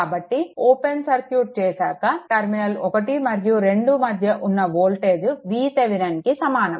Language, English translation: Telugu, So, that open circuit voltage across the terminal 1 2 must be equal to the voltage source V Thevenin